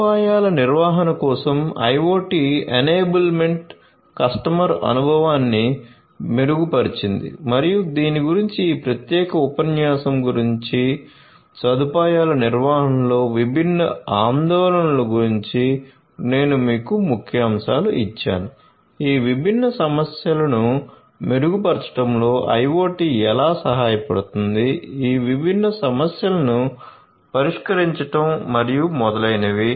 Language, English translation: Telugu, So, IoT enablement for facility management improved customer experience and so on this is what this particular lecture concerned about, I have told you about the different I have given you highlights about the different concerns in facility management, how IoT can help in improving these different concerns, addressing these different concerns and so on